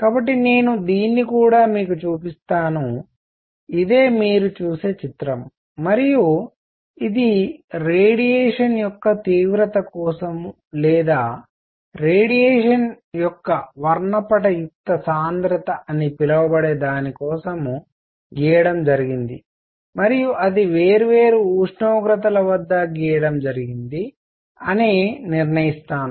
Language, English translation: Telugu, So, this is the image of intensity of radiation, alright, so let me also show it to you; this is the image which you see and I will decide if it for in which intensity of radiation or what we will call spectral density of radiation is plotted and it is plotted at different temperatures